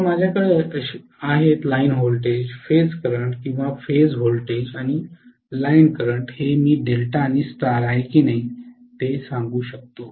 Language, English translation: Marathi, So what I have is line voltage and phase current or phase voltage and line current here I can say if it is delta and star